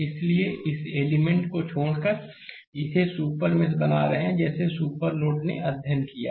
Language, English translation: Hindi, So, exclude this element because we have by excluding this we are creating a super mesh like super node we have studied